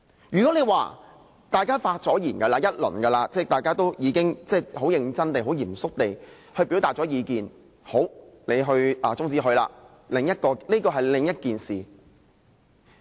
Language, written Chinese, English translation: Cantonese, 如果是大家已發言一段時間，即大家已很認真地、很嚴肅地表達過意見，才把議案中止，這是另一回事。, If such an adjournment debate comes after a long debate on the subject matter when Members have already seriously and solemnly expressed their views it will be another thing